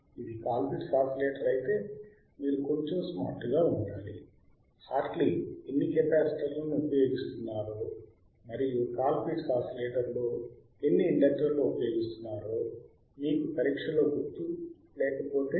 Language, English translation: Telugu, If it is a Colpitt’s oscillator, you see you have to again be a little bit smart;, if you do not remember in exam how many capacitors Hartley was using and Hartley oscillator we have used,and how many inductors in cap in Colpitt’s oscillator we have usedwas using